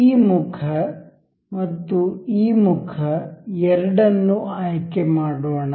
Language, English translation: Kannada, Let us just select two this face and this face